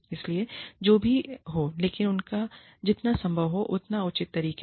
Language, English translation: Hindi, So, not at whatever cost, but in as fair a manner, as possible